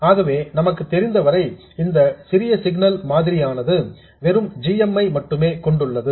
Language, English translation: Tamil, So, the small signal model so far as we know consists of just the GM